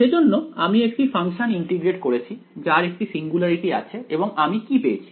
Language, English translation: Bengali, So, I integrated a function which had a singularity and what did I get I got only this guy